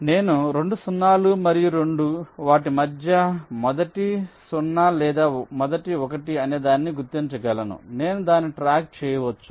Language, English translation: Telugu, so i can distinguish between the two zeros and two ones with respect to whether they are the first zero or the first one